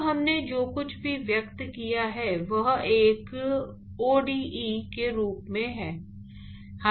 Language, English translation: Hindi, So, everything we have now expressed in terms of a ode